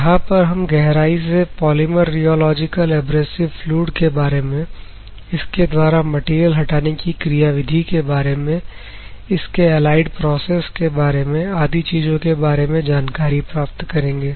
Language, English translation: Hindi, Where extensively people will study about the polymer rheological abrasive fluids, how the mechanism of material removal, what are these allied processes and etc will be studied in this particular course